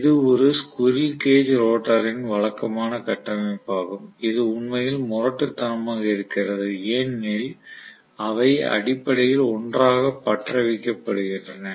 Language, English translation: Tamil, So this is the typical structure of a squirrel cage rotor which is really really rugged because they are essentially welded together